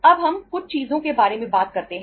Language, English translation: Hindi, Now we talk about certain things